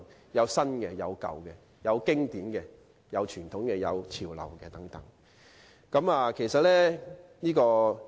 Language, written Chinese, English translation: Cantonese, 既有新的，也有舊的；有經典的，也有傳統的，亦有緊貼潮流的。, In Hong Kong the old can coexist with the new and the traditional can coexist with the trendy developments